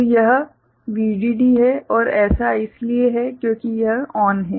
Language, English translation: Hindi, So, this is V DD and this is because this is ON